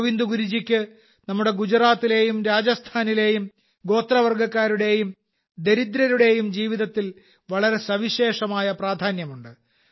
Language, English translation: Malayalam, Govind Guru Ji has had a very special significance in the lives of the tribal and deprived communities of Gujarat and Rajasthan